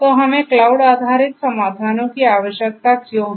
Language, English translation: Hindi, So, why do we need cloud based solutions